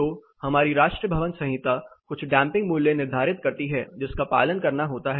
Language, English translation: Hindi, So, our national building code prescribes certain damping value which has to adhere be minimum damping this is